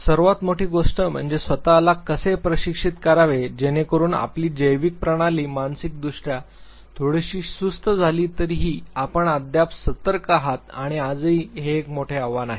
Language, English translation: Marathi, One of the biggest thing is that how to retrain yourself, so that even though your biological system becomes little sluggish mentally you are still alert and this is a big challenge even today also